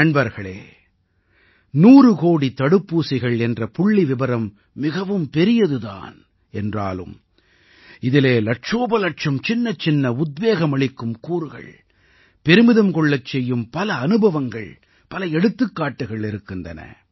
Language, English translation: Tamil, the figure of 100 crore vaccine doses might surely be enormous, but there are lakhs of tiny inspirational and prideevoking experiences, numerous examples that are associated with it